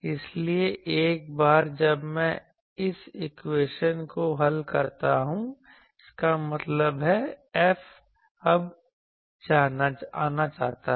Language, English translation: Hindi, So, once I solve this equation; that means, F is now known